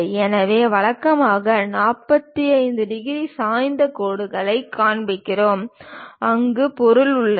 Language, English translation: Tamil, So, usually we show 45 degrees inclined lines, where material is present